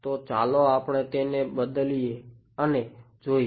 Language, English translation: Gujarati, So, let us substitute it and see